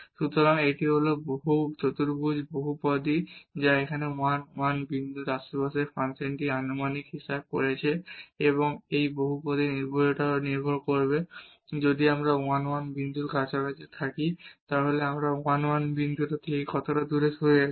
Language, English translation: Bengali, So, this is the quadratic polynomial which is approximating the function in the neighborhood of this 1 1 point and the accuracy of this polynomial will depend on how far we are from the point 1 1 if we are in a very close neighborhood of 1 1 this will give us a very good approximation of the function